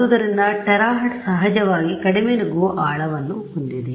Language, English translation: Kannada, So, terahertz of course, has much less penetration depth